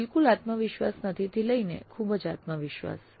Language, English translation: Gujarati, Not at all confident to very confident